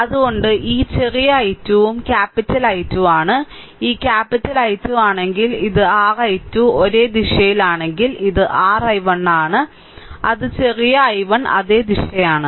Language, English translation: Malayalam, So, this small i 2 also capital I 2, right, if this capital I 2 because this is your I 2 same direction, this is your I 1; that is small i 1 same direction, right